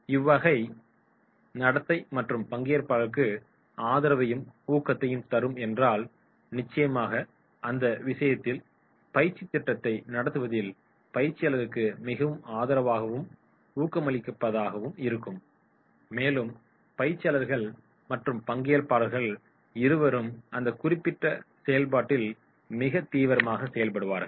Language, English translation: Tamil, If this type of behaviour is there that is giving support and encouragement to other participants then definitely in that case that will be very very supportive for conducting training program and the trainers and trainees both will be active in that particular process